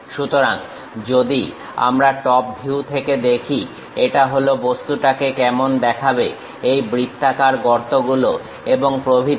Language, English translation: Bengali, So, if we are looking from top view, this is the object how it looks like; these circular holes and so on